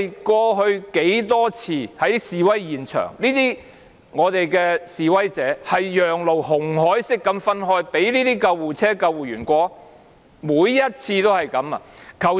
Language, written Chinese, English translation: Cantonese, 過去多次在示威現場，示威者都是"紅海式"讓路，讓救護車和救護員通過，每次如是。, In past demonstrations protesters always gave way to ambulances and ambulancemen every time like the parting of the Red Sea